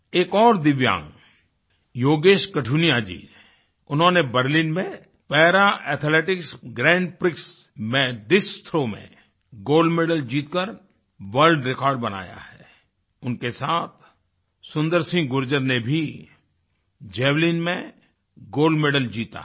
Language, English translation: Hindi, Another Divyang, Yogesh Qathuniaji, has won the gold medal in the discus throw in Para Athletics Grand Prix in Berlin and in the process bettered the world record, along with Sundar Singh Gurjar who also won the gold medal in javelin